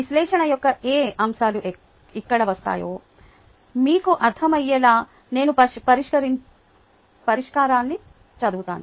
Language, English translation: Telugu, let me just read out the solution so that you will understand what aspects of the analysis come in here